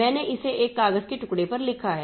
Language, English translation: Hindi, I have written it on a piece of paper